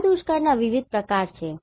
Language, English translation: Gujarati, So, these are different types of drought